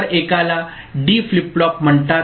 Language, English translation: Marathi, So, one is called D flip flop